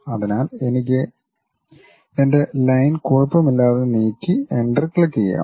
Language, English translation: Malayalam, So, I can just freely move my line and click that Enter